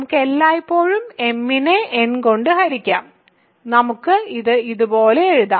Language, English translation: Malayalam, We can always divide m by n and we can write it like this